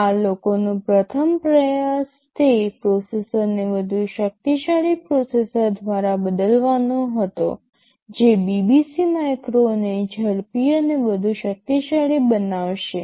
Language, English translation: Gujarati, TSo, the first attempt of these people were was to replace that processor by a better processor more powerful processor, which will make the BBC micro faster and more powerful ok